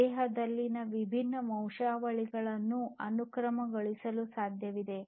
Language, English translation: Kannada, It is possible to sequence the different genes in the body